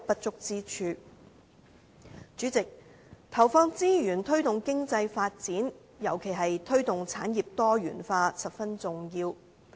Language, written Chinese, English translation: Cantonese, 主席，投放資源推動經濟發展，尤其是推動產業多元化，是十分重要的。, President it is important to deploy resources on economic development promoting diversification of industries in particular